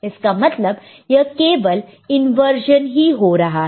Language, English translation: Hindi, So, there is just an inversion